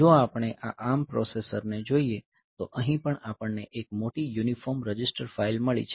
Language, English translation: Gujarati, So, if we look into this ARM processor then here also we have got large uniform register file